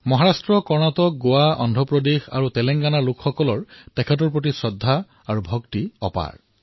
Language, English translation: Assamese, People from Maharashtra, Karnataka, Goa, Andhra Pradesh, Telengana have deep devotion and respect for Vitthal